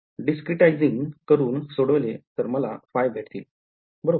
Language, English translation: Marathi, Discretizing and solving that give you phi all right